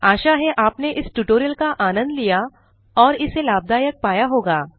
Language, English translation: Hindi, So we hope you have enjoyed this tutorial and found it useful